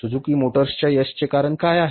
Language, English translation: Marathi, What is the reason for the success of the Suzuki motors